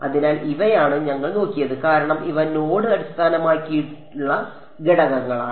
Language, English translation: Malayalam, So, these are what we looked at so, for these are node based elements